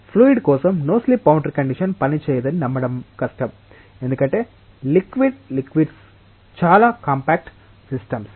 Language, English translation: Telugu, For liquids it is difficult to believe that the no slip boundary condition will not work, because liquid liquids are very compact systems